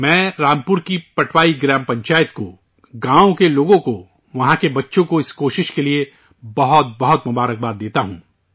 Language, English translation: Urdu, I congratulate the Patwai Gram Panchayat of Rampur, the people of the village, the children there for this effort